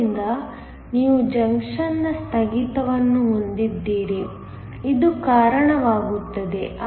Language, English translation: Kannada, So, you have a breakdown of the junction, this leads to